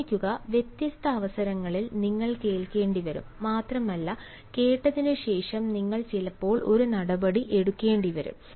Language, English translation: Malayalam, remember, for different occasions you will have to listen, and not only listen, but after listening you may also at times have to take an action